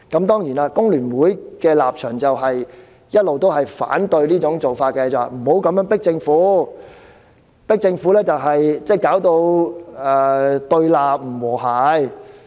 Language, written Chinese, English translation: Cantonese, 當然，工聯會的立場一直也是反對這做法，認為不應這樣壓迫政府，以免引致對立、不和諧。, Certainly FTU always opposes this approach for it considers we should not pressurize the Government lest it will provoke opposition and disharmony